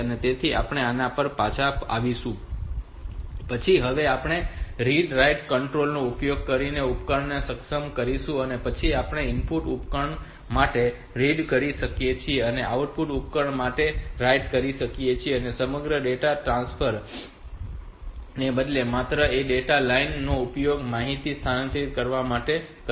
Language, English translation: Gujarati, So, we will come to this the later, then we enable the device using read write control we read for an input device and write for an output device and only one data line is used to transfer information instead of the entire data bus